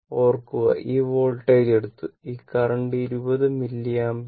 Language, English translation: Malayalam, And you are what you call this this current 20 milliampere